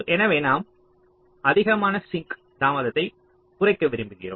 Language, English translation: Tamil, so we want to minimize the maximum sink delay